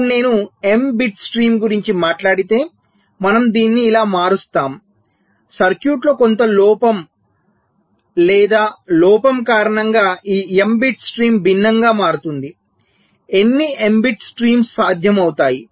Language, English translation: Telugu, if i talk about m bit stream we revert it like this: because of some error or fault in the circuit, this m bit stream will become something different